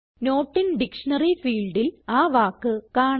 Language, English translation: Malayalam, So we see the word in the Not in dictionary field